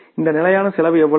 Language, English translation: Tamil, And then is the fixed expenses